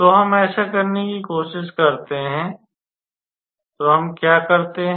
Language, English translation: Hindi, So, let us try to do that, so what we do